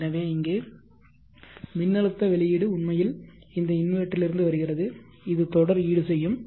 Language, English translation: Tamil, So voltage output here is actually coming from this inventor the series compensator this is d